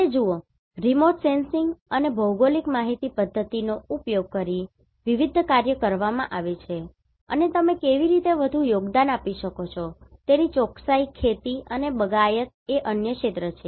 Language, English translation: Gujarati, And see, what are the different works has been done using remote sensing and GIS and what or how you can contribute more Precision farming and horticulture is another areas